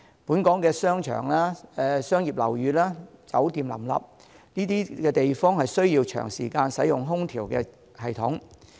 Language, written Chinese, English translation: Cantonese, 本港商場、商業樓宇、酒店林立，這些地方需要長時間使用空調系統。, Shopping malls commercial buildings and hotels abound in Hong Kong and these buildings turn on air conditioning for long periods of time